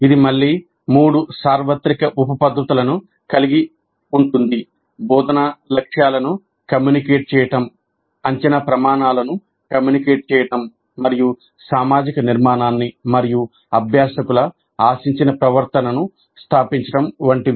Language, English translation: Telugu, So framing is quite helpful and this has again three universal sub methods, communicate the instructional objectives, communicate assessment criteria and establish the social structure and the expected behavior of the learners